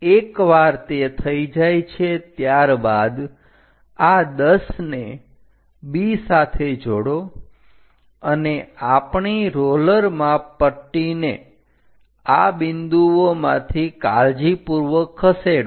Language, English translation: Gujarati, Once it is done, join these 10th one with B and move our roller scale to carefully pass through these points